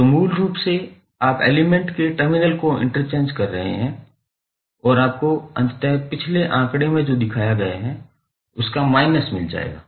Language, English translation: Hindi, So, basically you are interchanging the terminals of the element and you eventually get the negative of what we have shown in the previous figure